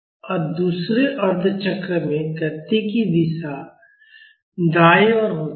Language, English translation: Hindi, So, in the second half cycle, the direction of motion is towards right